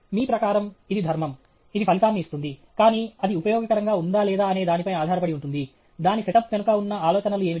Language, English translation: Telugu, According to you it is dharma, it will give the result, but whether it is useful or not depends on what is the quality of the, quality of the… what are the ideas behind the setup itself